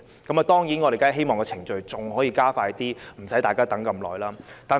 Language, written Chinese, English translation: Cantonese, 我們當然希望程序可以加快一點，不用大家等這麼久。, We certainly hope that the procedure can be quickened to save people from waiting that long